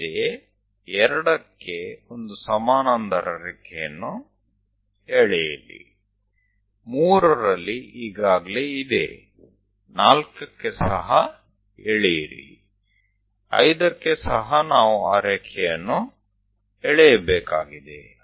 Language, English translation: Kannada, Similarly, a 2 draw a parallel line; 3 already there; at 4 also draw; 5 also we have to draw that line